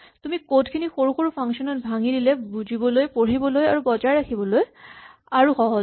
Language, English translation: Assamese, If you break up your code into smaller functions, it is much easier to understand, to read and to maintain